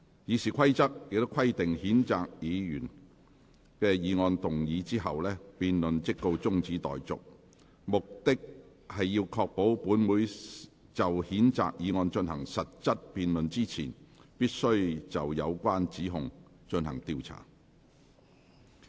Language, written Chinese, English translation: Cantonese, 《議事規則》規定譴責議案動議後，辯論即告中止待續，目的是要確保本會就譴責議案進行實質辯論之前，必須先就有關指控進行調查。, It is stipulated in the Rules of Procedure that debate on the motion should be adjourned once the motion is moved in order to ensure that an investigation will be conducted into respective allegations before a specific debate on the censure motion is conducted